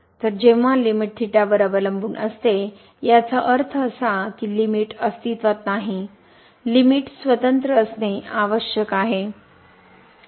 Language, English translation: Marathi, So, when the limit depends on theta; that means, the limit does not exist the limit should be independent of theta